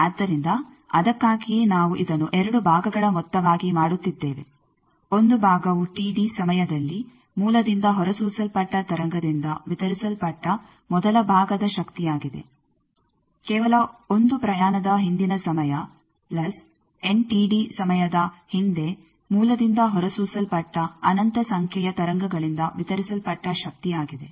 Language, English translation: Kannada, So, that is why we are making it as sum of two parts; one part is the first part power delivered by the wave emitted by source at T d time back, just one journey time back plus power delivered by infinite number of waves emitted by source at n T d time back